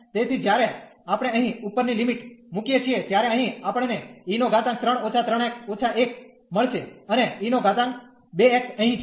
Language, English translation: Gujarati, So, when we put the upper limit here, we will get e power 3 minus 3 x and then minus 1 here and e power 2 x is sitting here